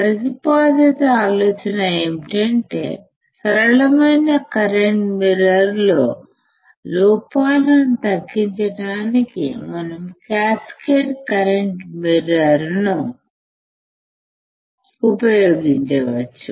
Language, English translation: Telugu, The proposed idea is that we can use we can use a cascaded current mirror, to reduce the errors in the simplest current mirror